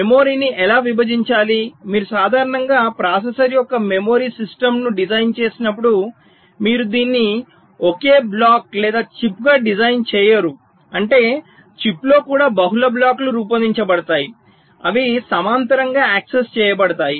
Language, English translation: Telugu, see, you know, whenever you design the memory system for a processor, normally you do not design it as a single block or a chip means mean even within a chip there are multiple blocks which are designed